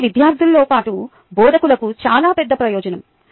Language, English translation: Telugu, thats a very big advantage to students as well as the instructors